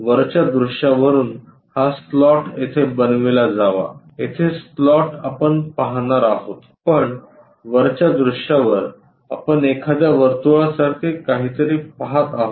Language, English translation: Marathi, From top view is supposed to make this slot here, the slot here we are going to see, but on top view we are seeing something like a circle